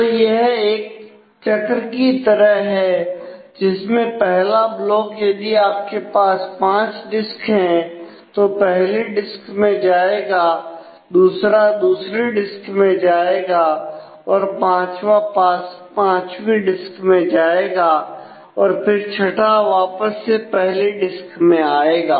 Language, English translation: Hindi, So, circularly so, the first goes if you have say five disks in the first block goes to disk one second to disk two fifth to disk 5 and the 6th again back to disk 1